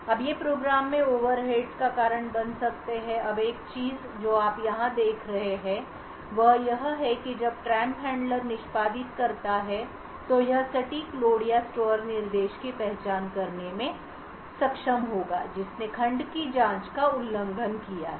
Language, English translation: Hindi, Now these could cause overheads in the program now one thing what you would observe were here is when the trap handler executes it would be able to identify the precise load or store instruction that has violated the segment check